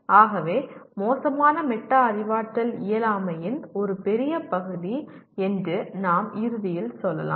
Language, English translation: Tamil, So we can in the end say poor metacognition is a big part of incompetence